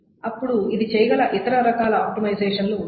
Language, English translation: Telugu, Then there are other kinds of optimizations that it can do